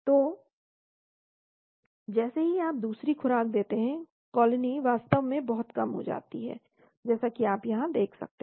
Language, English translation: Hindi, So the colonies as soon as you give the second dose, the colony is become very, very low actually as you can see here